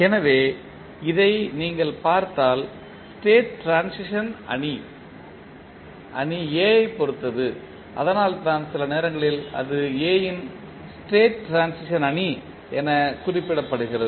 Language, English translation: Tamil, So, if you see this the state transition matrix is depending upon the matrix A that is why sometimes it is referred to as the state transition matrix of A